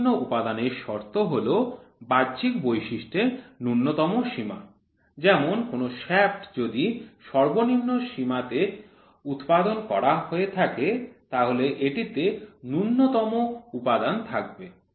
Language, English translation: Bengali, Least metal condition is the minimum limit of an external feature for example a shaft will contain a minimum amount of material when the manufacture to it is lower limit